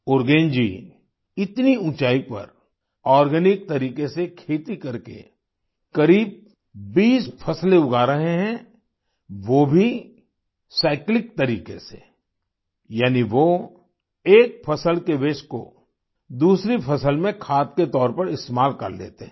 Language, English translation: Hindi, At those heights Urugen is growing about 20 crops organically, that too in a cyclic way, that is, he utilises the waste of one crop as manure for the other crop